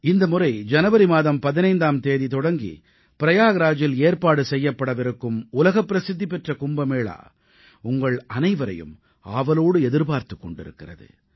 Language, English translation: Tamil, This time the world famous Kumbh Mela is going to be held in Prayagraj from January 15, and many of you might be waiting eagerly for it to take place